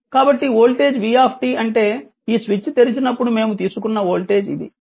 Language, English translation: Telugu, So, this voltage vt; that means, that mean this is the voltage we have taken, when this this switch is opened right